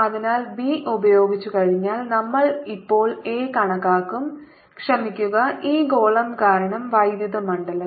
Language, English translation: Malayalam, so once we are done with b, we will now calculate a, the sorry ah, the electric field due to this sphere